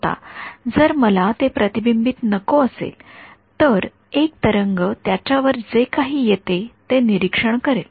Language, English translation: Marathi, Now, if I wanted to not have that reflection one wave would be to observe whatever falls on it